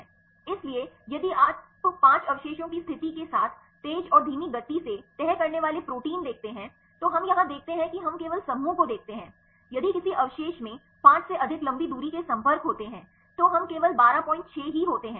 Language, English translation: Hindi, So, if you see the fast and a slow folding proteins the with a condition of 5 residues we see in here we see the clusters only if the a residue contains more than 5 long range contacts we do so, fast folding proteins there are only 12